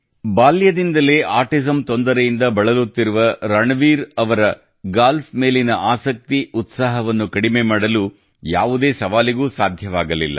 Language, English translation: Kannada, For Ranveer, who has been suffering from autism since childhood, no challenge could reduce his passion for Golf